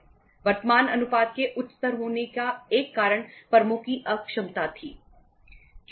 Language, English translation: Hindi, One reason was of having the high level of current ratios was the inefficiency of the firms